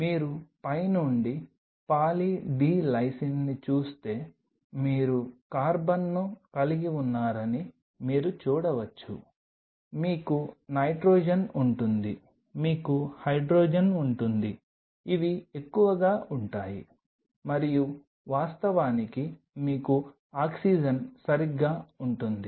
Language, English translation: Telugu, If you look at Poly D Lysine from top you can see you will have carbon you will have nitrogen of course, you have hydrogen these are mostly what will be and of course, you will have oxygen right